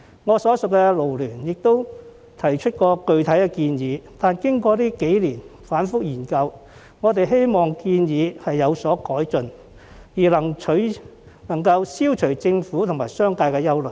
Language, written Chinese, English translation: Cantonese, 我所屬的勞聯亦曾提出具體建議，但經過這數年反覆研究後，我們希望建議有所改進，可以消除政府和商界的憂慮。, FLU to which I belong has made a specific proposal before but after repeated studies over these few years we hope that the proposal can be improved to allay the concerns of the Government and the business sector